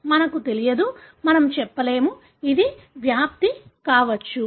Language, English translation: Telugu, We don’t know, we can’t say; it could be penetrance